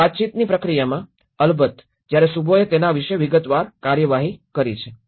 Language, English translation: Gujarati, Now in the communication process, of course when Shubho have dealt in detailed about it